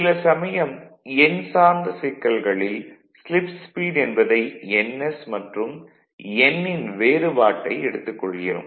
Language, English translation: Tamil, Sometimes if it is the numerical if it is our slip speed then we will take the difference of these 2 ns minus n right